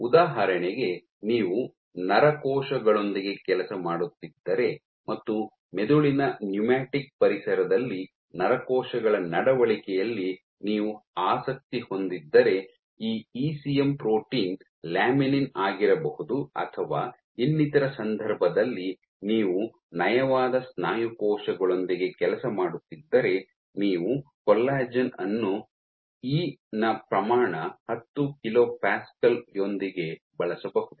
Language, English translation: Kannada, For example, if you are working with neuronal cells and you are interested in behaviour of neuronal cells in a brain pneumatic environment this ECM protein might be laminin or in some other case if you are working with smooth muscle cells you might use collagen with E order 10 kilo Pascal so on and so forth